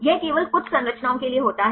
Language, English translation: Hindi, This happens only for few structures